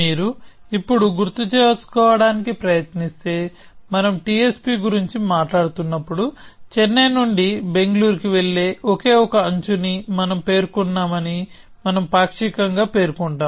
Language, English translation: Telugu, So, if you now try to remember, when we are talking of TSP and we say that we partially specify we say that we have only one edge specified which will go from Chennai to Bangalore